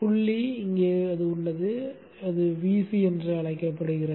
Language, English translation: Tamil, The point that is of interest is here and that is called VC